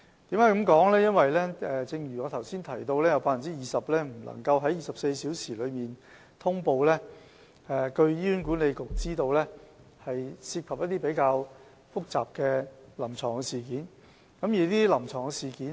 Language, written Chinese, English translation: Cantonese, 正如我剛才提及，有 20% 個案未及在24小時內呈報，據醫管局所知，是因為當中涉及一些比較複雜的臨床事件。, As I said just now in HAs knowledge 20 % of cases could not be reported within 24 hours mainly because complicated clinical incidents were involved